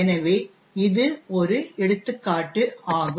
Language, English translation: Tamil, So, this is an example over here